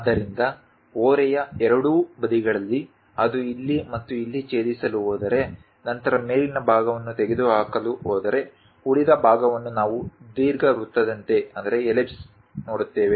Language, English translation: Kannada, So, on both sides of the slant, if it is going to intersect here and here; then the top portion if we are going to remove it, the remaining leftover portion we see it like an ellipse